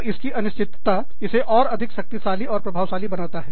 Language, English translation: Hindi, And, the uncertainty makes it, even more powerful and potent